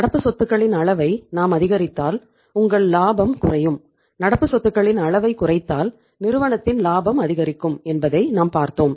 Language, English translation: Tamil, As we have seen that if we increase the level of current assets your profitability goes down and if you uh say decrease the level of current assets profitability of the firm increases